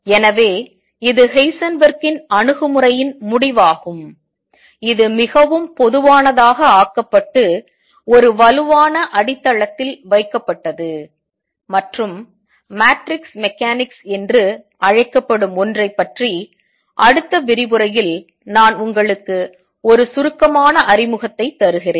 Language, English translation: Tamil, So, this is the conclusion of Heisenberg’s approach, this was made more general and put on a stronger footing and something called the matrix mechanics, to which I will just give you a brief introduction in the next lecture